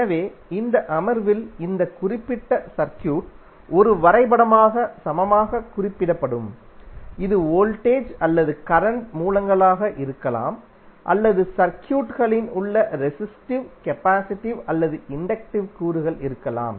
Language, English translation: Tamil, So this particular circuit will be equally represented as a graph in this session which will remove all the elements there may the sources that may be the voltage or current sources or the resistive, capacitive or inductive elements in the circuit